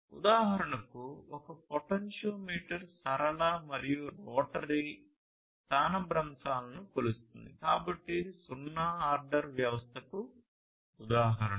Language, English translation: Telugu, So, basically a potentiometer for instance measures the linear and rotary displacements, right; so this is an example of a zero order system